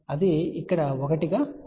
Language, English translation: Telugu, So, that is 1 here